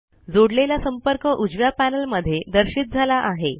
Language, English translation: Marathi, The contact is added and displayed in the right panel